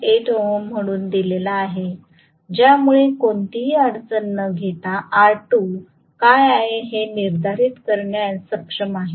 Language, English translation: Marathi, 8 ohms because of which I will be able to determine what is r2 without any difficulty